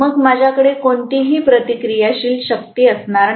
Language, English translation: Marathi, Then I am going to have no reactive power